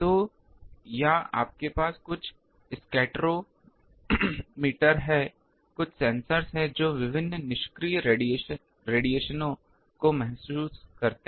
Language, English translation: Hindi, So, or you have some scatterometer, some sensors are there who senses various whatever passive radiation coming